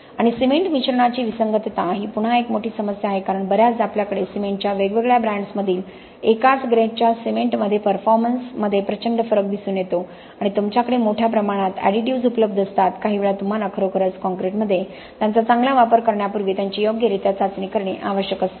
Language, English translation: Marathi, And cement admixture incompatibility is again a major issue because very often we have vast differences in the performance between different brands of cement which can actually be pertaining to the same grade itself and you have large range of additives which are available sometimes you have to really test these properly before you can use them well in the concrete